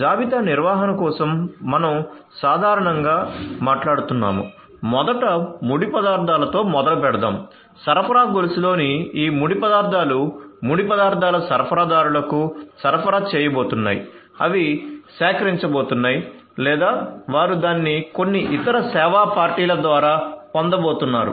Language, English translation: Telugu, So, for inventory management we are typically talking about let us say first starting with raw materials, these raw materials in the supply chain are going to be supplied to the raw materials suppliers, they are going to procure or they are going to get it through some other service party